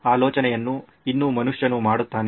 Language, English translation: Kannada, The thinking is still done by the human